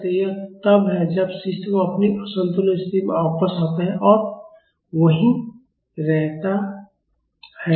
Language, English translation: Hindi, So, that is when the system comes back to its equilibrium position and stays there